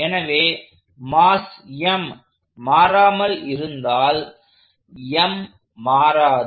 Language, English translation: Tamil, So, if mass is constant, so for m being constant